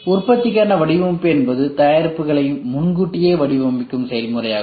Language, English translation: Tamil, Design for manufacturing is also the process of proactively designing the products too